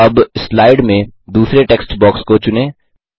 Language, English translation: Hindi, Now, select the third text box